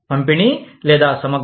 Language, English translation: Telugu, Distributive or integrative